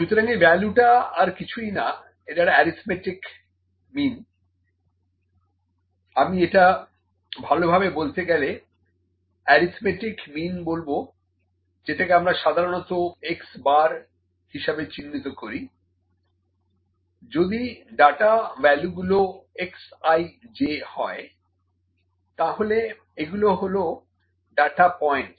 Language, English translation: Bengali, So, this value is nothing, but it is the arithmetic mean, I would better put arithmetic mean which is generally denoted by x bar, if the data values are x i j, these are my data points